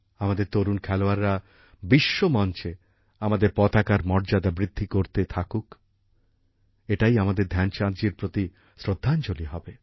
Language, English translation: Bengali, May our young sportspersons continue to raise the glory of our tricolor on global forums, this will be our tribute to Dhyan Chand ji